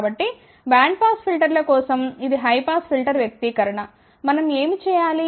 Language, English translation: Telugu, So, that is the high pass filter expression for bandpass filter what we have to do